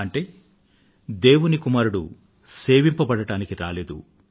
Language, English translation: Telugu, The Son of Man has come, not to be served